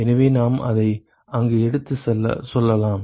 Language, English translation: Tamil, So, we can take it up there